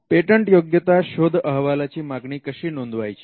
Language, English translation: Marathi, How to order a patentability search